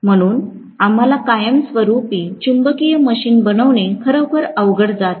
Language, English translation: Marathi, So we are really finding it difficult to construct permanent magnet machine